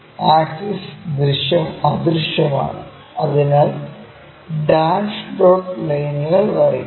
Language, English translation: Malayalam, Axis is invisible, so dash dot lines